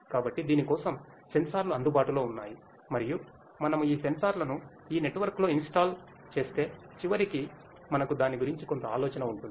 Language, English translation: Telugu, So, there are sensors available for this and if we install those sensors in this network which eventually we might do we have some idea of that